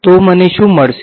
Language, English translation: Gujarati, So, what will I get